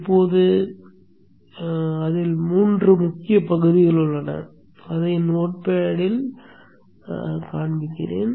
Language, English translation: Tamil, Now it has three major parts which I will show by going to the not pad